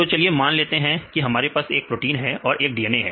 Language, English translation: Hindi, Let us say we have proteins here and we have the DNA right